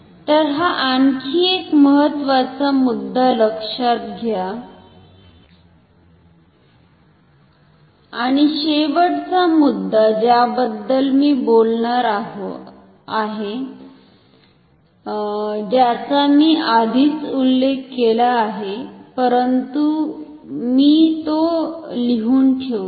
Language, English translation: Marathi, And, the final point that I will talk about is which I already have mentioned, but I will write it down